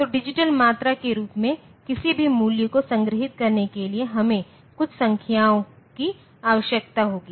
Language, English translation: Hindi, So, for storing the any value in the form of a digital quantity we need have some numbers for storing them